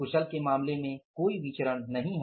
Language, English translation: Hindi, In case of the skilled there is no variance